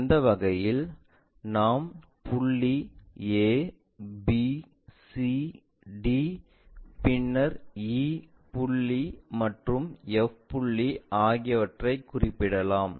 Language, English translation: Tamil, In that way we can locate, point a, b, c map to c, d, then e point maps to e, and f point